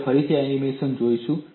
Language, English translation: Gujarati, We will again look at this animation